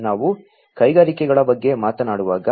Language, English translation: Kannada, So, when we talk about industries